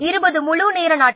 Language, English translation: Tamil, I think this is 20 days